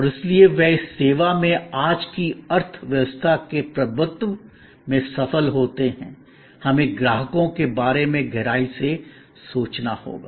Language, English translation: Hindi, And therefore, they succeed in this service dominated economy of today; we have to think deeper about customers